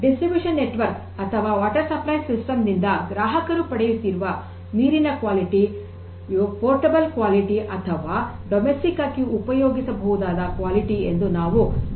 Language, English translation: Kannada, So, we can basically make the consumers assure that the water quality they are getting through their distribution network or through their water supply systems are of the portable quality or domestically usable quality